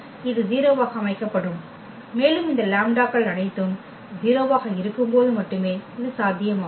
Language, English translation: Tamil, This will be set to 0 and this is only possible when all these lambdas are 0